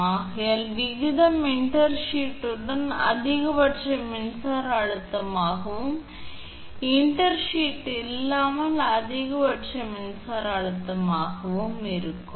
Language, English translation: Tamil, Alright therefore, ratio will be maximum electric stress with intersheath and maximum electric stress without intersheath